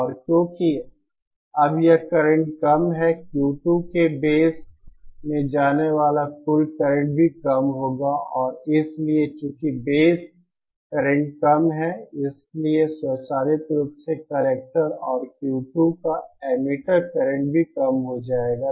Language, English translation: Hindi, And because now this it current is less, the total current going into the base of Q 2 will also be less and so since the base current is low, automatically the collector and emitter current of Q 2 will also reduce